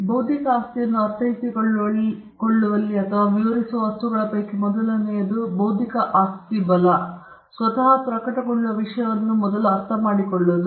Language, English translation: Kannada, Now, one of things in understanding or in defining intellectual property right is to first understand the subject matter on which the intellectual property right will manifest itself on